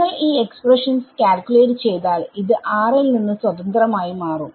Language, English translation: Malayalam, If you calculate this expression this would turn out to be independent of r for r greater than 1 for very large